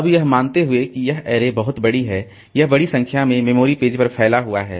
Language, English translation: Hindi, Now, assuming that this array is very large, it spans over a large number of memory pages